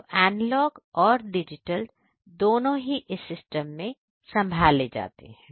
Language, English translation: Hindi, So, both the analog as well as the digital inputs are handled in this particular system